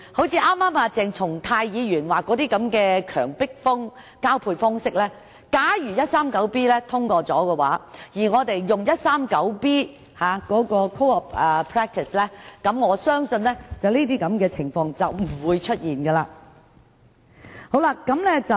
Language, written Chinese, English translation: Cantonese, 鄭松泰議員剛才提及的強迫交配，待第 139B 章生效後，我們大可引用第 139B 章的 code of practice， 我相信屆時便不會出現這些情況。, Dr CHENG Chung - tai just now mentioned forced mating but I believe this practice would no longer exist after Cap . 139B comes into effect because we can then take action pursuant to the code of practice under the legislation